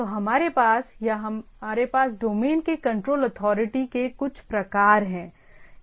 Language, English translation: Hindi, So, it has or we it has a some sort of a control authority of the domain